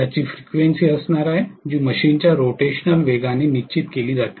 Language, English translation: Marathi, Which is going to have a frequency, which is decided by the rotational speed of machine